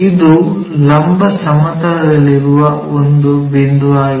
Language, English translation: Kannada, And this is a point on vertical plane